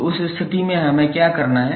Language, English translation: Hindi, So, in that case what we have to do